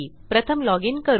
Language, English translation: Marathi, So let me login